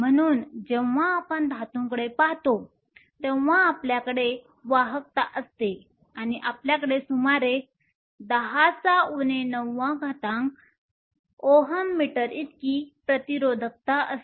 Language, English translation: Marathi, So, when we look at metals we have conductivity or we have resistivity of around 10 to the minus 9 ohm meter